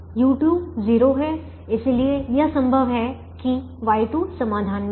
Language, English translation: Hindi, so y one is zero because u one is in the solution